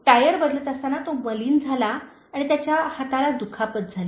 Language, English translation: Marathi, While changing the tire, he got dirty and his hands were hurt